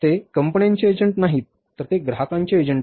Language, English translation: Marathi, They are the agents of customers, they are not the agents of the firms